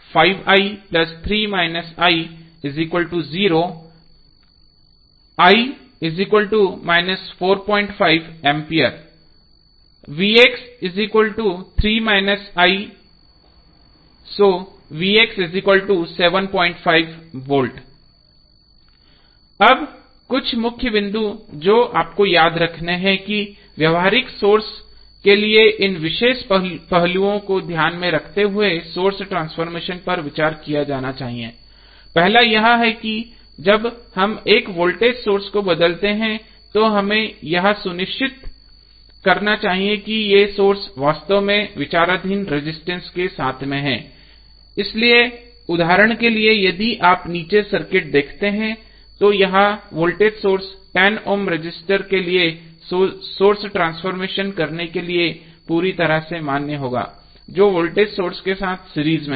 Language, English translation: Hindi, Now, some key points which you have to remember is that, for practical source the source transformation should be considered while keeping these particular aspects in mind, first is that when we transform a voltage source we must be very sure that these sources in fact in series with resistor under consideration, so for example if you see this circuit below it is perfectly valid to perform source transformation to the voltage source and 10 ohm resistance which is in series with voltage source